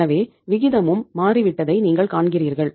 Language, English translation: Tamil, So you see that the ratio has also changed